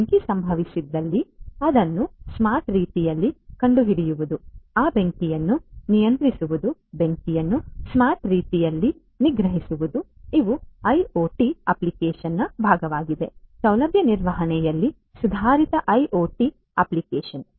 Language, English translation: Kannada, If there is a fire that occurs, then you know detecting that in a smart way you know controlling that fire suppressing the fire in a smart way these are also part of the IoT application you know you know improved IoT application in facility management